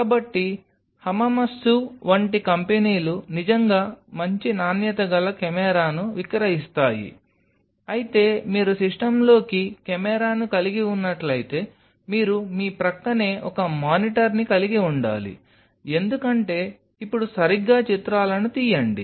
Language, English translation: Telugu, So, there are companies like Hamamatsu they really sell good quality camera, but then the very movement you are having a camera into the system you have to have a monitor adjacent to you because in order take pictures now right